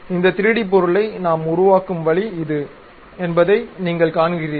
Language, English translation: Tamil, You see this is the way we construct this 3D object